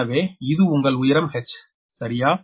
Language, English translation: Tamil, so this is your h right